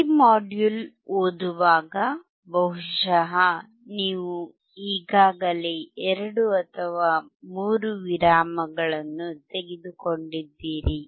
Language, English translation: Kannada, While reading this module probably you have taken already 2 or 3 breaks